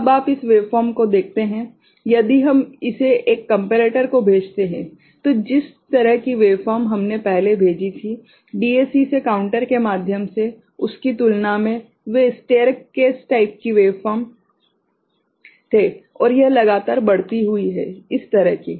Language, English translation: Hindi, Now you see this wave form if we send it to a comparator, compared to the kind of waveform we had sent earlier you know, from the DAC through the counter so, those were staircase kind of wave form right and this is a continuously increasing kind of thing